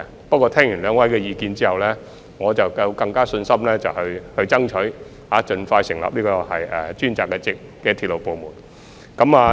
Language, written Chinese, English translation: Cantonese, 不過，聽畢兩位的意見後，我便更有信心爭取盡快成立專責的鐵路部門。, Yet after listening to the views of the two Members I am more confident in striving for the expeditious establishment of the dedicated railway department